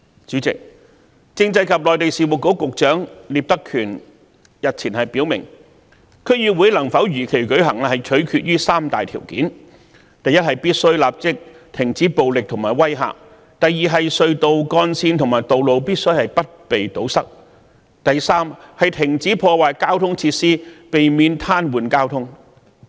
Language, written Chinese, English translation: Cantonese, 主席，政制及內地事務局局長聶德權日前表明，區議會能否如期舉行取決於三大條件：第一，必須立即停止暴力及威嚇；第二，隧道幹線和道路必須不被堵塞；第三，停止破壞交通設施，避免癱瘓交通。, President Secretary for Constitutional and Mainland Affairs Patrick NIP stated the other day that three conditions would have to be met for the DC Election to be held as scheduled Firstly violence and all kinds of duress should stop immediately; secondly blocking of tunnels highways and roads should cease; thirdly destruction to transport facilities should halt altogether to prevent paralysing the traffic